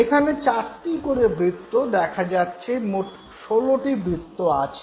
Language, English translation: Bengali, You find four circles here and finally you have 16 of them now